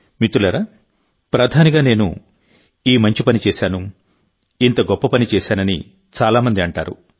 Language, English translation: Telugu, Friends, many people say that as Prime Minister I did a certain good work, or some other great work